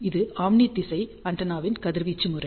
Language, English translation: Tamil, This is the radiation pattern of omni directional antenna